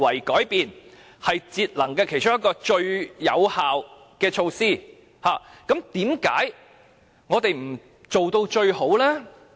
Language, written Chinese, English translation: Cantonese, 既然這是節能的最有效措施之一，為何我們不做到最好呢？, As energy labelling is one of the effective measures for energy saving why do we not make it perfect?